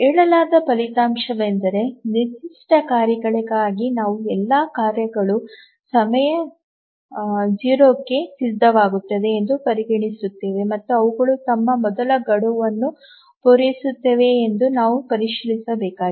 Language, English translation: Kannada, So, the result as it is stated is that we consider for a given task set all tasks become ready at time zero and we just need to check whether they meet their fast deadlines